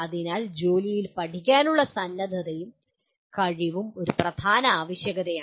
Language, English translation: Malayalam, So willingness and ability to learn on the job is one of the important requirements